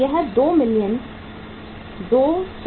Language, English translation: Hindi, This is uh 2 million 205,000